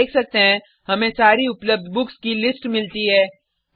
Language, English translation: Hindi, We can see that we get a list of all the books available